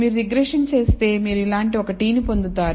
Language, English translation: Telugu, If you perform a regression, and you get a t of this kind